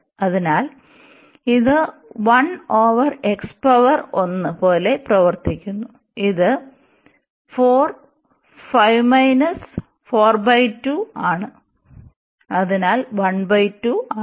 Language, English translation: Malayalam, So, this is behaving like 1 over x power 1 by it is a 4 5 minus 4 by 2, so 1 by 2